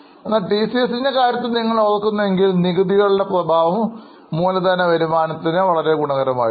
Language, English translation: Malayalam, But in case of TCS if you remember, the return on capital was much higher because of the effect of tax